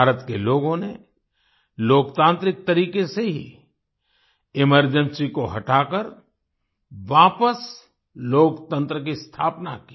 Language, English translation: Hindi, The people of India got rid of the emergency and reestablished democracy in a democratic way